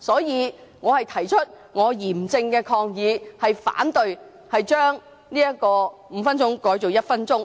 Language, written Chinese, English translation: Cantonese, 因此，我提出嚴正抗議，反對把點名表決鐘聲由5分鐘縮短至1分鐘。, Thus I express my solemn protest and oppose shortening the duration of the division bell from five minutes to one minute